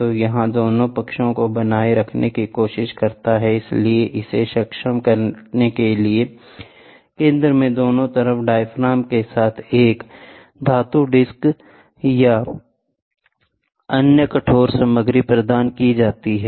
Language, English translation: Hindi, So, this tries to maintain both sides so, to enable this, a metal disc or any other rigid material is provided at the center with diaphragms on both sides